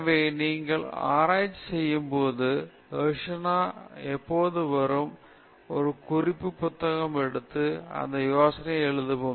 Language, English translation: Tamil, So, when you are doing your research, when the dharshana comes, take a note book and write down this idea